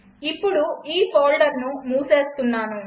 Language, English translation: Telugu, Let me close this folder now